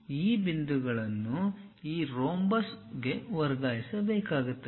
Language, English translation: Kannada, These points have to be transfer on to this rhombus